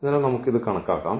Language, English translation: Malayalam, So, like let us compute this